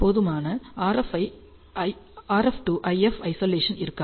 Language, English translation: Tamil, And you will have in adequate RF to IF Isolation